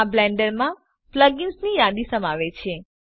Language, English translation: Gujarati, This contains a list plug ins in blender